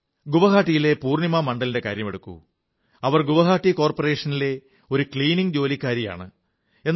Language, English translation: Malayalam, Now take the example of Purnima Mandal of Guwahati, a sanitation worker in Guwahati Municipal Corporation